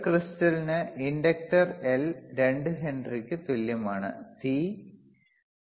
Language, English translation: Malayalam, A problem is, a crystal has inductor L equal to 2 Henry, C equals to 0